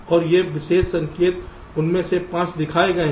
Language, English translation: Hindi, and these special signals, five of them are shown